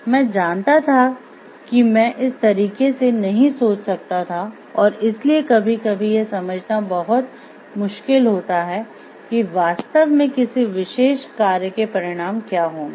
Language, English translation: Hindi, But may or may not think in the same way, so it is very difficult sometimes to understand like what exactly are the consequences of a particular action